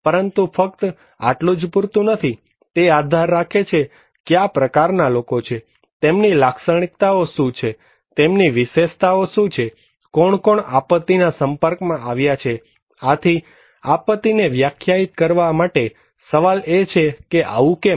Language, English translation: Gujarati, But that is not only enough, it also depends on what and what types of people, what are their characteristics, what are their features, who are exposed to that disaster, so to define disaster so, the question is why is so